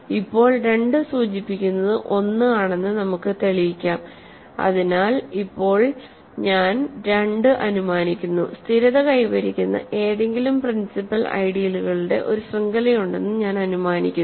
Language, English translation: Malayalam, Now let us prove 2 implies 1, so now I am assuming 2 I am assuming that there is a given any chain of principal ideals it stabilizes